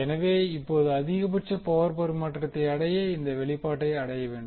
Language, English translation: Tamil, So, now for maximum power transfer condition you got to expression for the condition